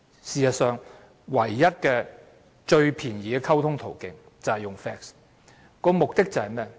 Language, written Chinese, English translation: Cantonese, 事實上，當時唯一最便宜的溝通途徑就是 fax。, In fact sending documents by fax was the cheapest way of communication then